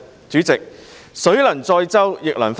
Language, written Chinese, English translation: Cantonese, 主席，水能載舟，亦能覆舟。, President while the waters can keep a boat afloat they can also overturn it